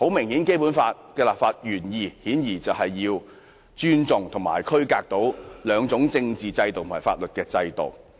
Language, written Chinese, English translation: Cantonese, 顯然，《基本法》的立法原意是尊重及區隔兩地的政治和法律制度。, Clearly the legislative intent of the Basic Law is to respect and separate the political and legal systems of the two jurisdictions